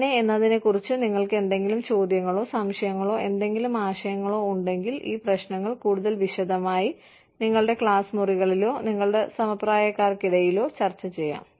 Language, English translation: Malayalam, If you have, any questions, or doubts, or any ideas, on how, you can discuss these issues, in greater detail, in your classrooms, or among your peers